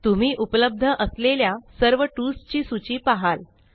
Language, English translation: Marathi, You will see a list of all the available tools